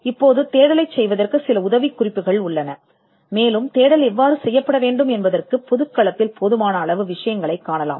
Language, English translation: Tamil, Now, there are some tips for search, but you would find enough amount of material in the public domain on how search has to be done